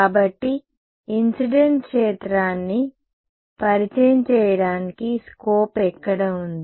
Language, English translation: Telugu, So, where is the scope to introduce incident field